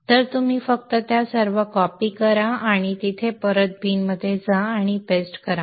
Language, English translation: Marathi, So you just copy all of them and go back there into the bin and paste